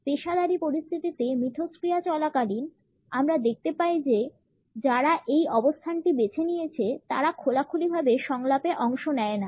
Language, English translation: Bengali, During professional interactions, we find that people who have opted for this position do not openly participate in the dialogue